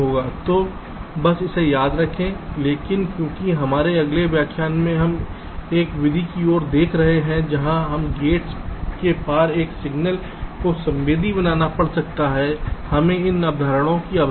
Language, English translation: Hindi, but because in our next lecture we shall be looking at a method where we may have to sensitize a signal across gates, we need this concepts